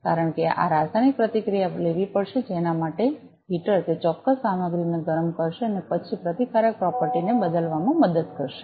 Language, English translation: Gujarati, Because this chemical reaction will have to take place for which the heater will heat up that particular material and then that will help in changing the resistive property